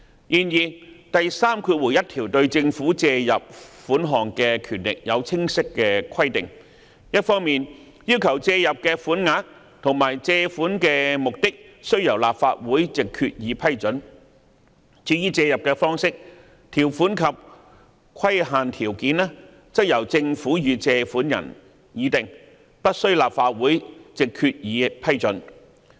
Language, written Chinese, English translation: Cantonese, 然而，第31條對政府借入款項的權力有清晰規定，一方面要求借入的"款額"及借款的"目的"須由立法會藉決議批准，而借入的"方式"、"條款"及"規限條件"則由政府與借款人議定而不需立法會藉決議批准。, Nevertheless section 31 clearly provides for the power of the Government to make borrowings . On the one hand it requires the sum or sums and the purposes of loans to be approved by Resolution of the Legislative Council while the manner terms and conditions of such loans are to be agreed between the Government and the lenders and need not be approved by the Legislative Council by way of Resolution